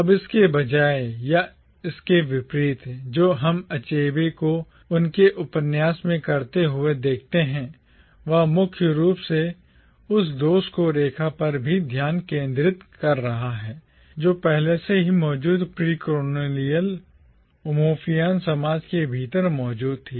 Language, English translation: Hindi, Now, instead, or rather on the contrary, what we see Achebe doing in his novel is, he is focusing primarily even on the fault lines that were already present within the precolonial Umuofian society